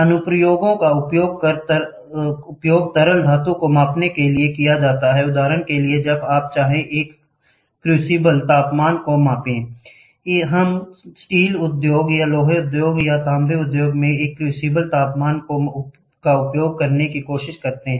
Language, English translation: Hindi, Applications it is used to measure liquid metal, for example, when you may want to measure a crucible temperature, we try to use a crucible temperature in the steel industry or iron industry or copper industry